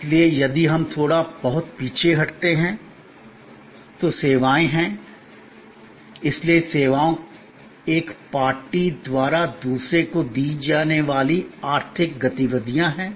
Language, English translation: Hindi, So, services are if we go back a little bit, so services are economic activities offered by one party to another